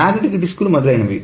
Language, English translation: Telugu, The magnetic disks, etc